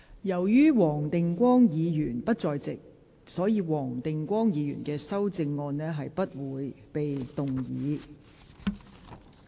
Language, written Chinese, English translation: Cantonese, 由於黃定光議員不在席，本會不會處理他的修正案。, As Mr WONG Ting - kwong is not present we will not deal with his amendment